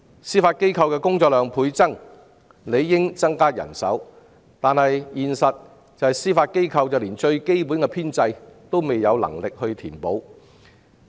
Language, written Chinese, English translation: Cantonese, 司法機構的工作量倍增，理應增加人手，但現實是司法機構連基本編制也無法填補。, When workload has increased by folds the manpower of the Judiciary should have increased correspondingly but the reality is that the Judiciary cannot even fill its existing vacancies